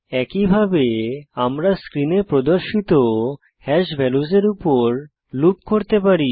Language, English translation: Bengali, Similarly, we can loop over hash values as shown on the screen